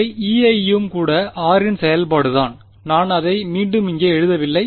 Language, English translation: Tamil, These guys E i is also function of r I am just not writing it over here